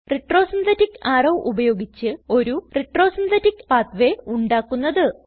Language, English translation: Malayalam, Let us add a retro synthetic arrow, to show the retro synthetic pathway